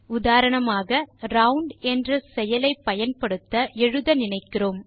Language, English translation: Tamil, lets take an example, suppose we want to use the function round